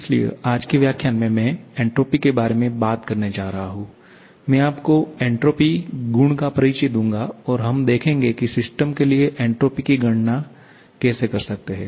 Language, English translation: Hindi, So, in today's lecture, I am going to talk about entropy, introduce the property entropy to you and see how we can calculate entropy for a system